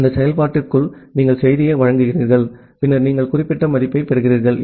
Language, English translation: Tamil, So, inside that function you are providing the message and then you are getting certain value